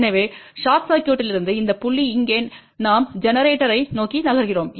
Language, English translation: Tamil, So, from the short circuit which is this point here we are moving towards generator